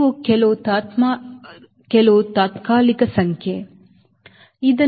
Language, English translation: Kannada, these are some tentative number, right